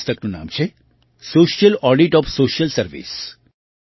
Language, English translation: Gujarati, The name of the book is Social Audit of Social Service